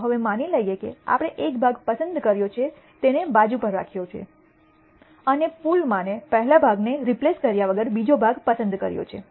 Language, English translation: Gujarati, Now let us assume that we have picked one part kept it aside and we draw a second part without replacing the first part into the pool